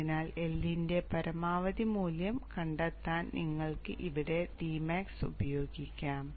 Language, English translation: Malayalam, This would be the value of the index and you can calculate the L max using maximum value of D max